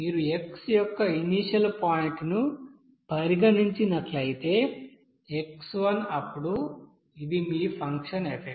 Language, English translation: Telugu, If you consider that initial point of that x then x1 then this is your function simply f